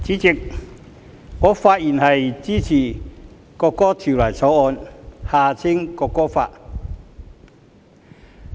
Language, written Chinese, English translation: Cantonese, 代理主席，我發言支持《國歌條例草案》。, Deputy Chairman I rise to speak in support for the National Anthem Bill the Bill